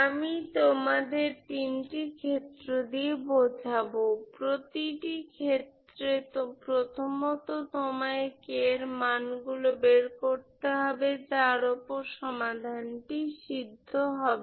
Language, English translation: Bengali, So I will demonstrate you will have three cases, in each case first of all you will find what are the values of k for which you have the solutions